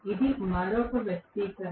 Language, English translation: Telugu, This is another expression